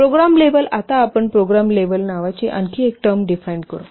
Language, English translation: Marathi, The program level, so now we will define another term called as program level